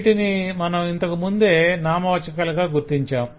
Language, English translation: Telugu, these have already been identified as noun, so we already know that